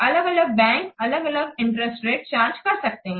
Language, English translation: Hindi, So, different banks may charge different interest rates